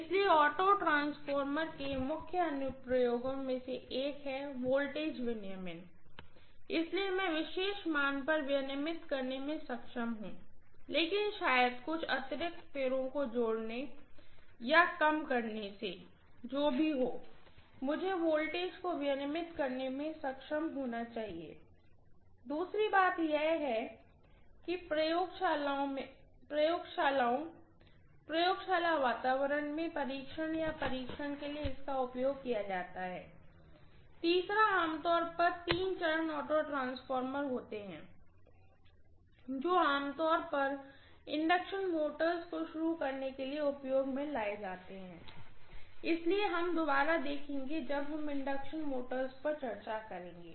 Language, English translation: Hindi, So the major applications of auto transformers are one is voltage regulation, so I will be able to regulate the voltage to a particular value but connecting maybe a few turns extra, a few turns lower whatever it is I should be able to regulate the voltage, the second thing is it is used for testing or conducting test in laboratories, lab environment, the third one is generally the three phase auto transformers are very, very commonly used to start induction motors, which will we revisit when we are going to discuss induction motors